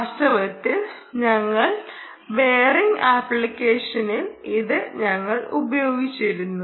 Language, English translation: Malayalam, in fact, this is what we exploit in our bearing application as well